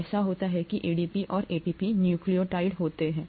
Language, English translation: Hindi, It so happens that ADP and ATP are nucleotides